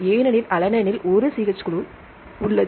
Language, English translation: Tamil, alanine contains how many CH3 groups